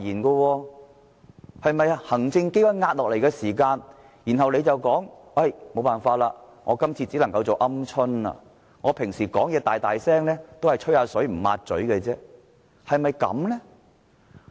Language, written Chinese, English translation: Cantonese, 是否當行政機關壓下來時，他便說沒辦法，只能夠做"鵪鶉"，平時說話聲大大，都只是"吹水不抹嘴"，是否這樣呢？, However when he was pressurized by the executive authorities he said he could do nothing about it and quailed . He speaks loudly but he is just a babbler with a capital B . Is that a fair description?